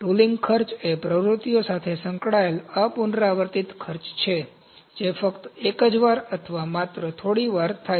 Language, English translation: Gujarati, Tooling costs are non recurring costs associated with activities that occur only once or only a few times